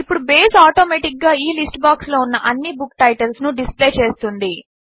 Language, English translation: Telugu, Now Base will automatically display all the Book titles in this List box